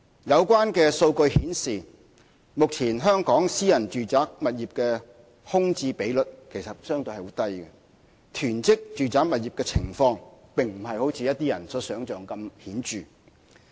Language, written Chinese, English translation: Cantonese, 有關數據顯示，目前香港私人住宅物業的空置率其實相對很低，囤積住宅物業的情況並非如一些人所說的嚴重。, These data show that the current vacancy rate of private residential property in Hong Kong is relatively quite low and hoarding of residential properties is not as serious as some people might think